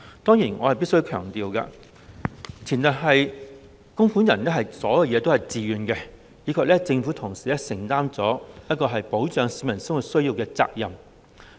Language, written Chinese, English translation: Cantonese, 當然，我必須強調，此制度的前提是供款人自願供款，以及政府同時承擔了保障市民生活需要的責任。, Of course I have to emphasize that this system is premised on contributors making contributions on a voluntary basis and at the same time the Government undertakes the responsibility of protecting the livelihood needs of the public